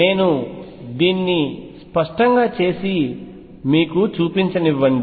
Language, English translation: Telugu, Let me do this explicitly and show it to you